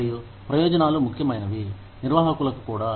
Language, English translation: Telugu, And, benefits are important, to managers also